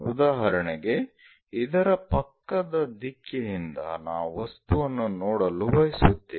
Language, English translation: Kannada, For example, from this directions side direction we will like to see the object